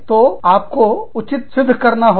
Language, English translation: Hindi, So, you have to justify